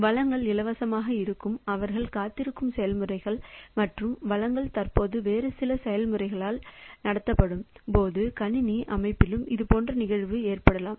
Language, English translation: Tamil, So, similar case can occur in computer system also when the processes they are waiting for resources to be free and the resources are currently held by some other processes